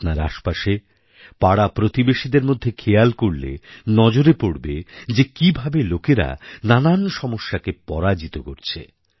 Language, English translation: Bengali, If you observe in your neighbourhood, then you will witness for yourselves how people overcome the difficulties in their lives